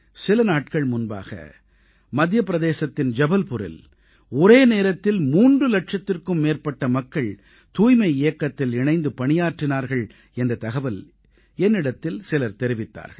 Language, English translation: Tamil, I was told that a few days ago, in Jabalpur, Madhya Pradesh, over three lakh people came together to work for the sanitation campaign